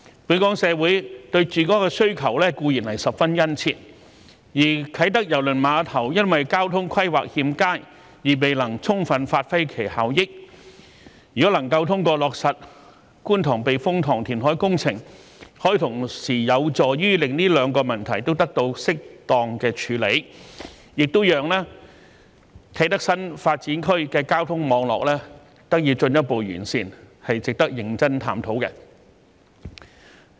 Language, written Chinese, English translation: Cantonese, 本港社會對住屋的需求固然十分殷切，而啟德郵輪碼頭因為交通規劃欠佳而未能充分發揮其效益，如果能夠通過落實觀塘避風塘填海工程，可以同時有助於令這兩個問題都得到適當的處理，亦讓啟德新發展區的交通網絡得以進一步改善，是值得認真探討的。, There is a strong demand for housing in Hong Kong society and the Kai Tak Cruise Terminal has failed to fully realize its potential due to poor transport planning . If we can implement the Kwun Tong Typhoon Shelter reclamation works we will be able to properly solve the two problems at the same time and further enhance the transport network of the Kai Tak New Development Area . This is worthy of our serious exploration